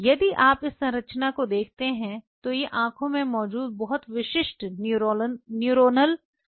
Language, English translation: Hindi, If you look at this structure these are very specialized neuronal structures present in the eyes